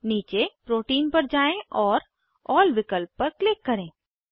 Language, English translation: Hindi, Scroll down to Protein and click on All option